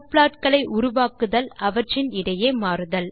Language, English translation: Tamil, Create subplots to switch between them